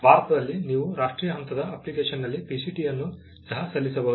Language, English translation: Kannada, You can also file a PCT in national phase application in India